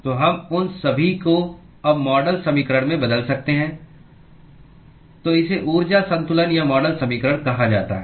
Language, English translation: Hindi, So, we can substitute all those into the model equation now, so this is what is called the energy balance or model equation